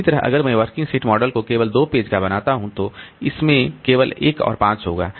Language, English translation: Hindi, Similarly, if I make the working set model only two, so it will have only one and five